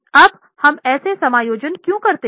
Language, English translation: Hindi, Now why do we make that adjustment